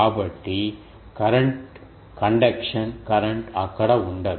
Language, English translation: Telugu, So, conduction current cannot be present there